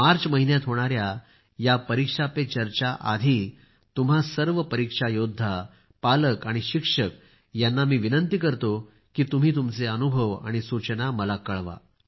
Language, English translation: Marathi, But before the 'Pariksha Pe Charcha' to be held in March, I request all of you exam warriors, parents and teachers to share your experiences, your tips